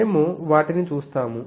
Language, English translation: Telugu, So, we will see them